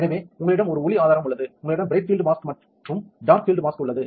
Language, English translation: Tamil, Mask are of two types either it is bright field mask or a dark field mask